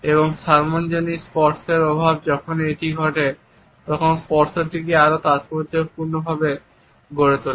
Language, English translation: Bengali, And the scarcity of public touch makes this touch much more significant whenever it occurs